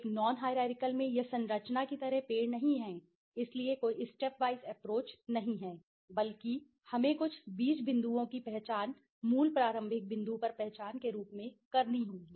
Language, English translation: Hindi, In a non hierarchical it is not the tree like structure right, so there is no step wise approach, rather we have to identify some seed points as the identification at the basic starting point right